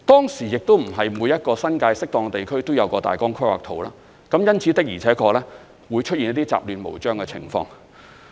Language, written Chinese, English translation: Cantonese, 當時亦不是每一個新界適當地區都有大綱規劃圖，因此，的而且確會出現一些雜亂無章的情況。, At that time not all districts in the New Territories had a control plan; and indeed this might have resulted in some chaotic land uses